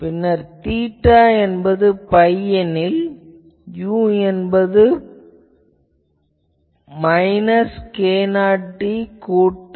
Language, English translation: Tamil, And when theta is equal to pi, u is equal to minus k 0 d plus u 0